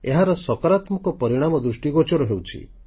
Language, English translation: Odia, And the positive results are now being seen